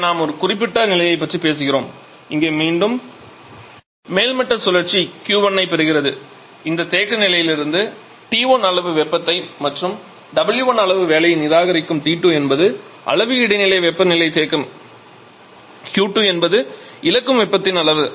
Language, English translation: Tamil, Here we are talking about this particular scenario, so here again the topping cycle which is one is receiving Q 1 amount of heat from this reservoir temperature T 1 and rejecting W 1 amount of heat T 2 is the intermediate temperature reserver Q 2 is the amount of heat it is losing to this